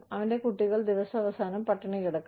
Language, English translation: Malayalam, His children may go hungry, at the end of the day